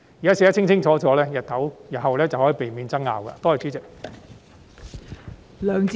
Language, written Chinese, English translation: Cantonese, 現時寫得清清楚楚，就可以避免日後出現爭拗。, By making the requirements clear now disputes can be avoided in the future